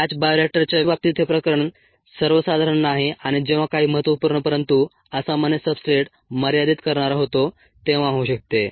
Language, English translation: Marathi, this cases rather uncommon in the case of a batch, a bioreactor, and can happen when some crucial but unusual substrate becomes limiting